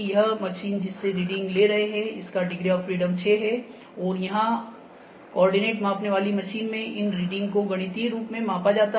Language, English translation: Hindi, The machine which take readings in 6 degrees of freedom, and this place these reading in mathematical form is known as coordinate measuring machine